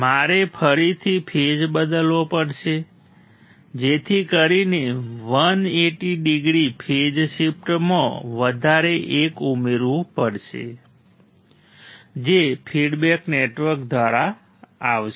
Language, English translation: Gujarati, I have to again change phase so, that 180 degree phase shift one more we have to add which will come through the feedback network